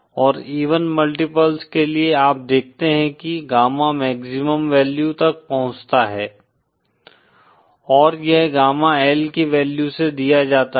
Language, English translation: Hindi, and for even multiples you see that gamma in reaches a maximum value and that is given by the value of gamma L